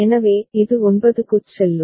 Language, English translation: Tamil, So, it will go to 9